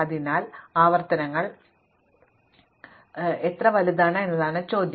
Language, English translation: Malayalam, So, the question is how big are the recursive problems